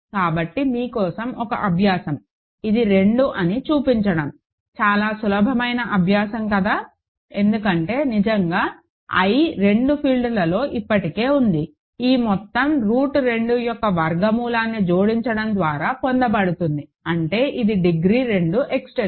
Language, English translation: Telugu, So, an exercise for you is show that this is 2, very easy exercise right, because really i is already there in both fields this whole is a field is obtained by adding a square root of root 2; that means, it is a degree two extension